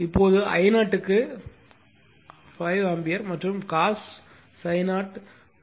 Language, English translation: Tamil, Now, I 0 is given 5 ampere and cos phi 0 is 0